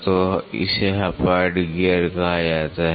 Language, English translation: Hindi, So, it is called as Hypoid gears